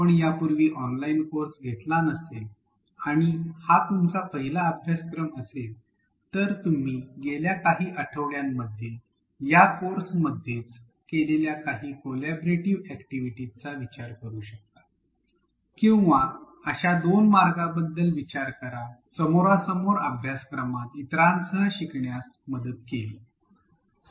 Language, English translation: Marathi, If you have not taken an online course before and this is your first course, you can also think of some collaborative activities that you may have done in the past couple of weeks within this course itself or think of two ways where it helped you to learn along with others in a face to face course or a workshop like a traditional classroom setting or maybe just an interactive face to face workshop